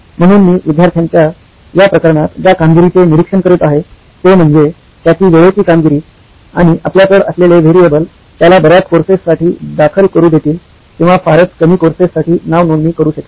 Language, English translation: Marathi, So the performance that I am monitoring in this case of the student is his on time performance and the variable that we have will let him enrol for many courses or enrol for very few courses